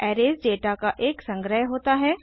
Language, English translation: Hindi, Arrays are a collection of data